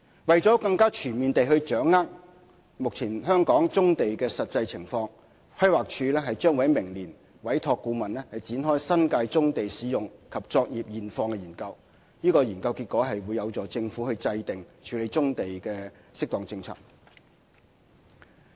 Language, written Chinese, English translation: Cantonese, 為了更全面地掌握目前香港棕地的實際情況，規劃署將於明年委託顧問，展開新界棕地使用及作業現況的研究，其結果將有助政府制訂適當處理棕地的政策。, Our consideration must base on people . In order to obtain a clearer picture of the actual conditions of brownfield sites in Hong Kong the Planning Department will commission a study next year on the existing profile and operations of brownfield sites in the New Territories . The findings will be useful inputs to the Government in formulating appropriate policies for tackling brownfield sites